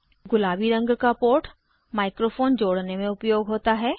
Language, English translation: Hindi, The port in pink is used for connecting a microphone